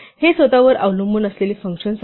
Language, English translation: Marathi, Functions which rely on themselves